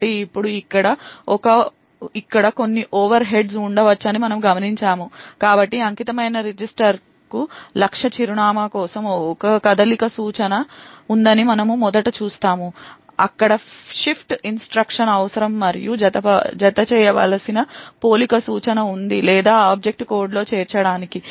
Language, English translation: Telugu, So now we note that there could be certain overheads involved over here so we first see that there is a move instruction for the target address to the dedicated register there is a shift instruction required and there is a compare instruction that is required to be added or to be inserted into the object code